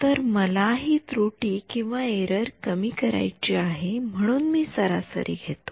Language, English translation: Marathi, So, I want to minimize that error so, I take an average